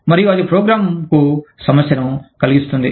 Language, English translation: Telugu, And, that can cause, a problem for the program